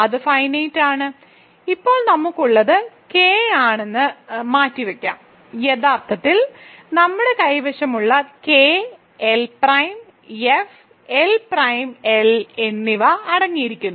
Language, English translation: Malayalam, So, what I want to say is that it is finite, now so let us keep that aside what we have is K actually what we have is K, L prime and F, L prime contains L